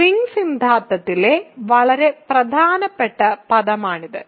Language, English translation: Malayalam, So, this is a very very important word in ring theory